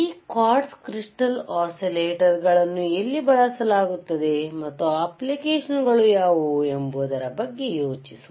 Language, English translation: Kannada, So, think about where this quartz crystal oscillators are used, and what are the applications are what are the applications of quartz crystal oscillator and